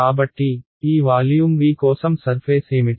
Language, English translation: Telugu, So, on for this volume V what are the surfaces